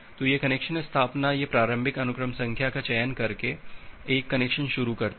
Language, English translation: Hindi, So this connection establishment it initiate a connection by selecting the initial sequence number